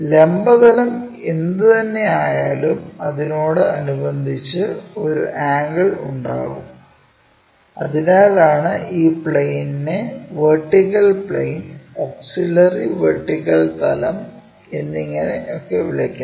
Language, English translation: Malayalam, So, whatever the vertical plane we have with respect to that there is an angle and because of that we call this plane as vertical plane, auxiliary vertical plane and there is a point P